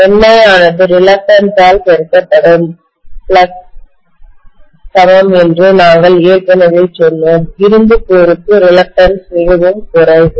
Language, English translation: Tamil, We said already that Ni equal to flux multiplied by reluctance, reluctance is really really low for an iron core